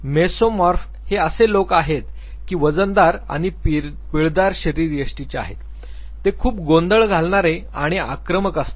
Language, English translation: Marathi, Here is people who are mesomorphs heavy and muscular people, they would be noisy they would be aggressive, but they would also be very active in nature